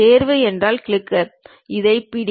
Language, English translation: Tamil, Pick means click; hold it